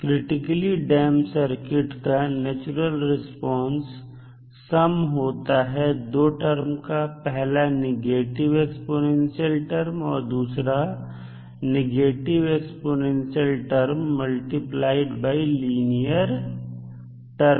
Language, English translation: Hindi, Now, the natural response of the critically damped circuit is sum of 2 terms the negative exponential and negative exponential multiplied by a linear term